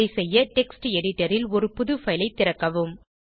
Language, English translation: Tamil, To do so open the new file in Text Editor